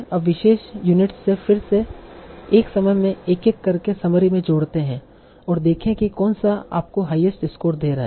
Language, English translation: Hindi, Now again from the remaining units again keep on adding one by one at a time to the summary and see which one is giving you the highest score